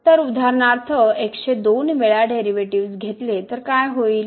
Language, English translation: Marathi, So, what will happen if we take for example, the derivative of with respect to two times